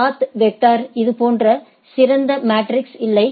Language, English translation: Tamil, In path vector there is no such ideally matrix